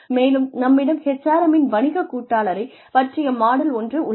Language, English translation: Tamil, Then, we have a business partner model of HRM, which is a conceptual framework